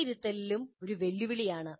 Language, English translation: Malayalam, And assessment is also a challenge